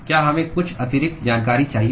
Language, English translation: Hindi, Do we need some additional information